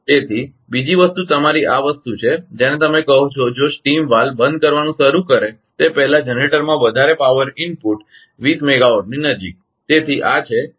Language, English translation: Gujarati, So, second thing is your this thing your what you call if excess power input to the generator before the steam valve begins to close 20 megawatt